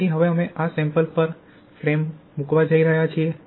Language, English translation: Gujarati, So now we are going to place this specimen on the frame